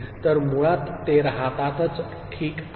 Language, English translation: Marathi, So, basically they do remain, ok